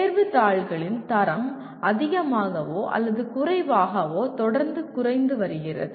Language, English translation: Tamil, The quality of the exam papers have been more or less continuously coming down